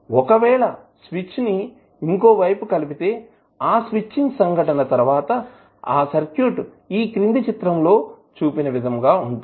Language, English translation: Telugu, So, if you put this switch to this side then after that switching event the circuit will become this